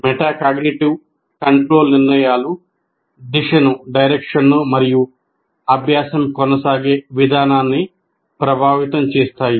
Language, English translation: Telugu, Metacognitive control decisions influence the direction and the manner in which learning will continue